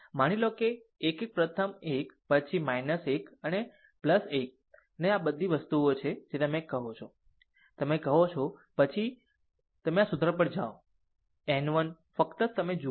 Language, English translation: Gujarati, Suppose a 1 1 first one, then minus 1 to the power n plus 1 that is this thing you are, what you call then you are ah this if you go to this formula a n m, n 1 just ah just you just you see this one